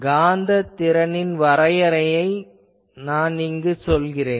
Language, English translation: Tamil, Here, I am putting that definition of magnetic potential